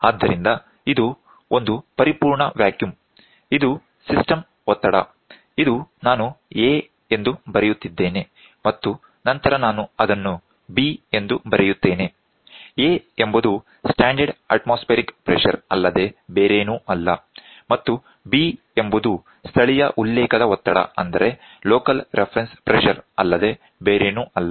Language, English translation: Kannada, So, this is perfect vacuum, this is system pressure, this is I am writing it as A and then I will writing it as B; that A is nothing but standard atmospheric pressure and B is nothing but local reference pressure